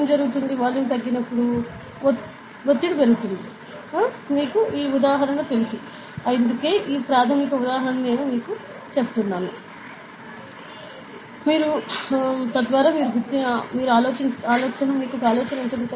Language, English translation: Telugu, When volume decreases what happens, pressure increases; you know this example, this example we will be showing you today, that is why I am just telling you this basic example, so that you will have the idea